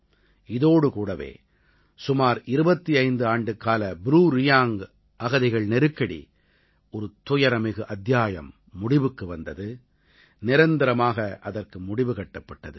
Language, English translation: Tamil, With it, the closeto25yearold BruReang refugee crisis, a painful chapter, was put to an end forever and ever